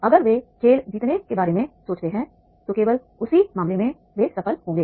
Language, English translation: Hindi, If they think of the winning the game then only in that case they will be successful